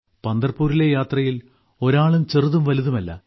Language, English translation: Malayalam, In the Pandharpur Yatra, one is neither big nor small